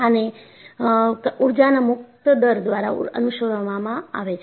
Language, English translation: Gujarati, So, this will be followed by Energy Release Rate